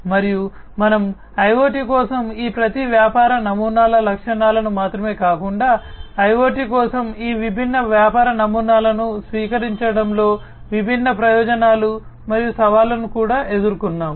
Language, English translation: Telugu, And we have also gone through the different not only the features of each of these business models for IoT, but we have also gone through the different advantages and the challenges in the adoption of each of these different business models for IoT